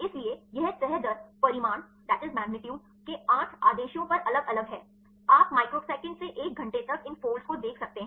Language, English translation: Hindi, So, these folding rate vary over eight orders of magnitude right you can you can see these folds from microseconds to an hour